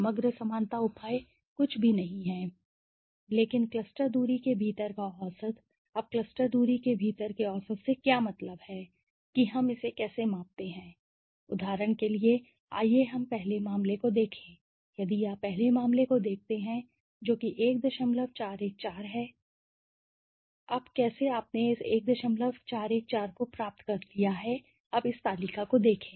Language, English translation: Hindi, The overall similarity measure is nothing but the average within the cluster distance now what do you mean by the average within the cluster distance how do we measure it, for example, let us look at the 1st case if you look at the 1st case which is when it is 1